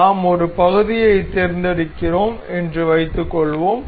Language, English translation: Tamil, Suppose we are selecting a part